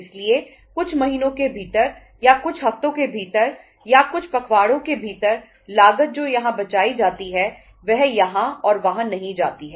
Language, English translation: Hindi, So within a few months or within a few weeks or say fortnights the cost which is saved here that does not go here and there